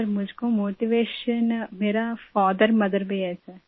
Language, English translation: Hindi, Sir, for me my motivation are my father mother, sir